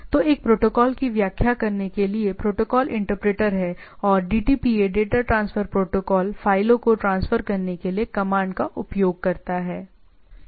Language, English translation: Hindi, So, the one is protocol interpreter to interprets the protocol and the DTPA data transfer protocol uses the command to transfer the files